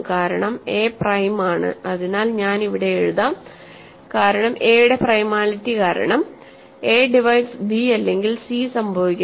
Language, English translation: Malayalam, So, a divides bc, because a is prime; so, I will write it here, because of the primality of a, a divides b or a divides c, right